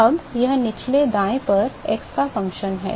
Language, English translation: Hindi, Now, that is the function of x the lower right